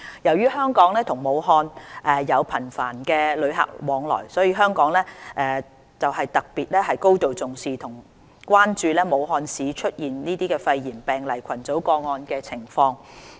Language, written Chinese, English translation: Cantonese, 由於香港與武漢有頻繁的旅客往來，香港特別行政區政府高度重視和關注武漢市出現肺炎病例群組個案的情況。, Due to the frequent flow of travellers between Hong Kong and Wuhan the Government of the Hong Kong Special Administrative Region attaches great importance and stays alert of the latest situation of the cluster of pneumonia cases in Wuhan